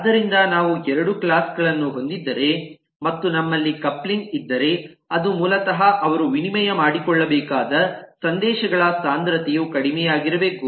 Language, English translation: Kannada, so that's what we are talking about: that if we have the two classes and the coupling that we have, which is basically the density of messages that they need to exchange, has to be low